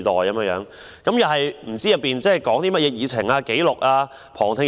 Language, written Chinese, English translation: Cantonese, 我們不清楚其會議議程、會議紀錄、旁聽安排。, We know nothing about its meeting agenda minutes of meetings arrangements for public observation etc